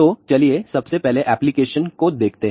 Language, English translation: Hindi, So, now, let us just look at the application point of view